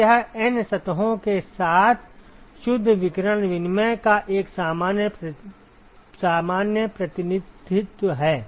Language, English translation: Hindi, So, this is a general representation of the net radiation exchange with N surfaces